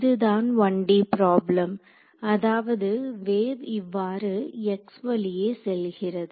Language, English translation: Tamil, So, this is the 1D problem; that means, the wave is going like this along the x direction right